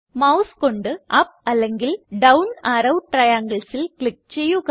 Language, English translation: Malayalam, Click on up or down arrow triangles with the mouse